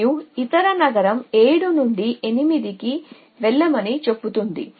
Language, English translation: Telugu, And other city says go to 8 essentially from 7